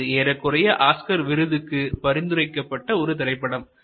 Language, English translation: Tamil, So, it was almost a candidate nominee for the Oscars